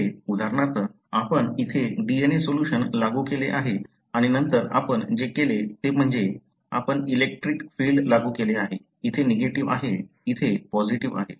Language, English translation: Marathi, Here for example, you have applied the DNA solution here and then what you did is that you have applied electric field, here is negative, here is positive